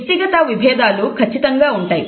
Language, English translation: Telugu, The individual differences do exist